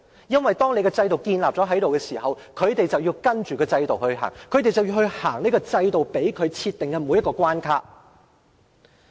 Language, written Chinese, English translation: Cantonese, 因為當制度建立後，他們便要跟隨制度，走這制度設定的每一道關卡。, Once a system has been established they have to follow the system and get over whatever hurdle it sets